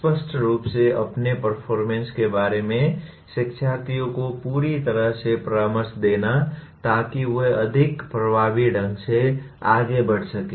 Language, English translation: Hindi, Clear, thorough counsel to learners about their performance helping them to proceed more effectively